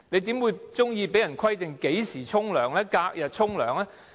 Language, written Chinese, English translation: Cantonese, 誰會喜歡被規定何時洗澡，或是隔日洗澡呢？, Who would like to take a bath at a fixed time or on alternate days?